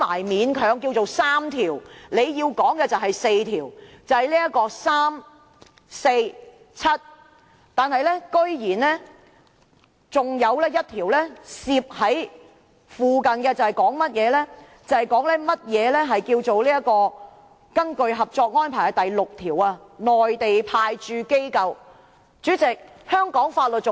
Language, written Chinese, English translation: Cantonese, 勉強算來有3項，局長說有4項，是第三條、第四條及第七條，然後竟然還鬼鬼祟祟地附加了1項附註，解釋根據《合作安排》第六條，"內地派駐機構"為何。, It can be said that three articles have been incorporated but the Secretary said four . The three articles are Articles 3 4 and 7 and a Note has been sneakily added explaining Mainland Authorities Stationed at the Mainland Port Area under Article 6 of the Co - operation Arrangement